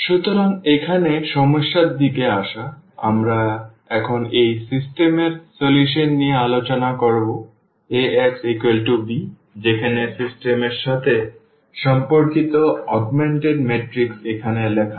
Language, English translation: Bengali, So, coming to the problem here we will discuss now this solution of this system Ax is equal to b where the augmented matrix corresponding to the system is written as here